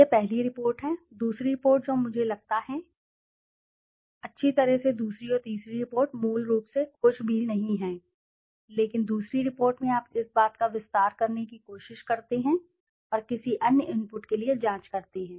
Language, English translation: Hindi, This is the first report, the second report I think is there, well the second and third report is basically nothing but in the second report you try to expand the thing and check for any other inputs into it or something